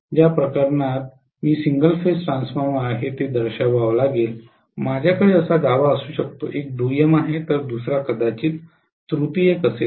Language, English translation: Marathi, In which case I have to show if it is a single phase transformer I may have a core like this, one is secondary, the other one maybe tertiary